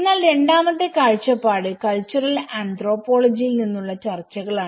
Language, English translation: Malayalam, But the second perspective is discusses from the cultural anthropology